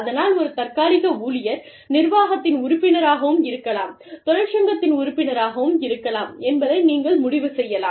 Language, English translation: Tamil, So, you may decide, that a temporary worker, can be a member of the organization, can be a member of the union